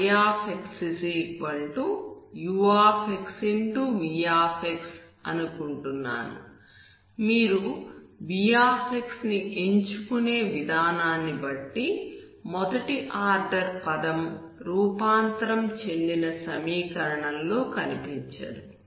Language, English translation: Telugu, v, out of which you choose v in such a way that your first order term never appears in the transformed equation